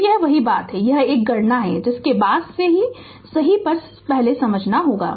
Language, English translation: Hindi, So, same thing it is calculation is there later first we have to understand